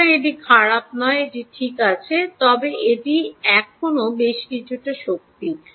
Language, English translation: Bengali, so its not bad, its ok, but it is still quite a bit of power